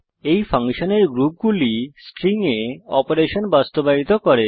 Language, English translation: Bengali, These are the group of functions implementing operations on strings